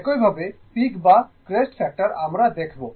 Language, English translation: Bengali, Similarly, the peak or crest factor right ah